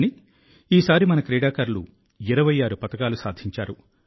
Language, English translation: Telugu, Our players won 26 medals in all, out of which 11 were Gold Medals